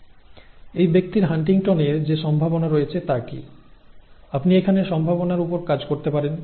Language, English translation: Bengali, And what is the probability that this person will will have HuntingtonÕs, you can work at the probabilities here